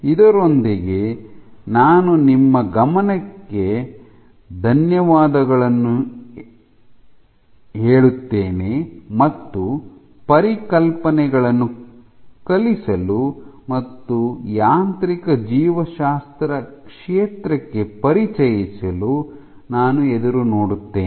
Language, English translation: Kannada, With that I thank you for your attention, and I look forward to teaching you about and introducing you to the field of mechanobiology